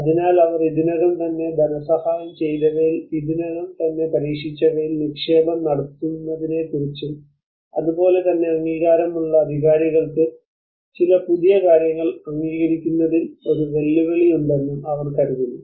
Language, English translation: Malayalam, So they mostly think of invest in what they have already tested what they have already funded before and similarly the approving authorities they also have a challenge in approving some new things